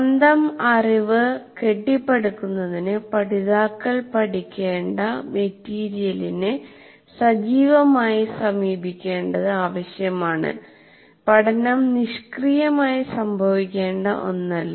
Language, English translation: Malayalam, And to construct the knowledge, we require, the learners require active manipulation of the material to be learned and it cannot occur passively